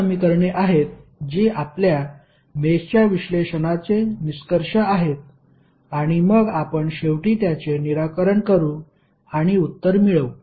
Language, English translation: Marathi, These are the equations which are the outcome of our mesh analysis and then we can finally solve it and get the answer